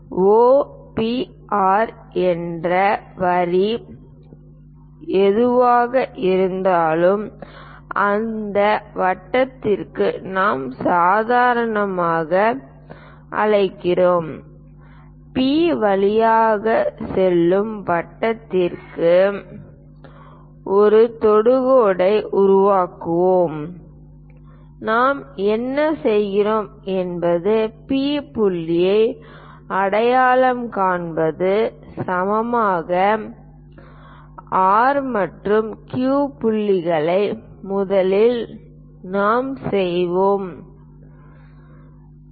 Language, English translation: Tamil, That line O, P, R whatever the line extended O to R we call normal to that circle and to construct a tangent to the circle passing through P what we do is identify the P point around that an equal distance R and Q points first we will identify